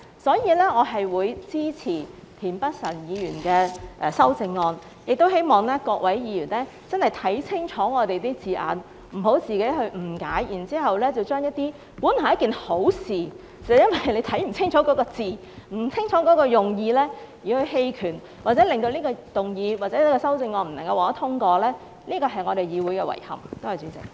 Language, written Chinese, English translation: Cantonese, 所以，我會支持田北辰議員的修正案，亦希望各位議員真的要看清楚我們的字眼，不要誤解原意，這本來是一件好事，只是因為自己沒有看清楚字眼、不清楚用意而選擇棄權，令這項議案或修正案未能通過，這是我們議會的遺憾。, Also I hope that Members will seriously study the wordings of my motion so as not to misunderstand its original meaning . This is meant to be something good . If Members abstain from voting due to a lack of clear understanding of the motion wordings or intention and the motion or the amendment is ultimately vetoed it will be a regret for this Council